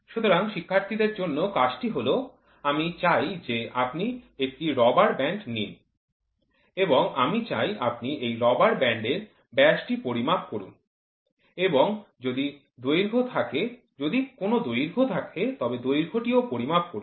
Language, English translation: Bengali, So, the task for the student is I want you to take a rubber band, any rubber band and for this rubber band I want you to measure the diameter and if there is the length, if at all there is a length, so please measure the length also for the same